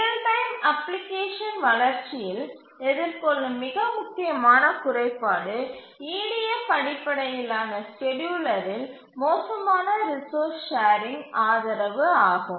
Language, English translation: Tamil, The most important shortcoming that is faced in a application, real time application development is poor resource sharing support in EDF based scheduler